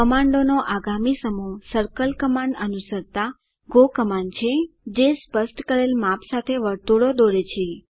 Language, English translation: Gujarati, The next set of commands that is go commands followed by circle commands draw circles with the specified sizes